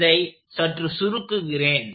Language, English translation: Tamil, So, I will simplify this slightly